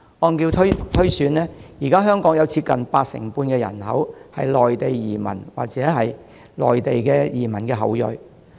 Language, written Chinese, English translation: Cantonese, 按照推算，現時香港有接近八成半人口為內地移民或內地移民的後裔。, By inference about 85 % of the existing population in Hong Kong consists of either Mainland arrivals themselves or descendant of Mainland arrivals